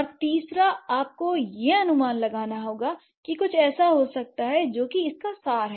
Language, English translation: Hindi, And third, you have to infer that something might be the case, that what is the essence of it